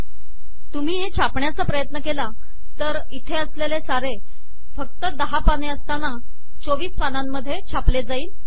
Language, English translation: Marathi, For example, if you try to print this, whatever we have here, it will produce 24 pages even though there are only 10 pages